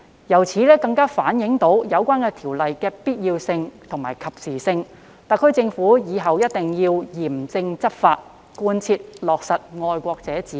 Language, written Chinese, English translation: Cantonese, 由此可見，《條例草案》確實有其必要性和及時性，特區政府以後必須嚴正執法，貫徹落實"愛國者治港"。, From this we can see that the Bill is necessary and timely . In the future the HKSAR Government must enforce the law strictly and fully implement the principle of patriots administering Hong Kong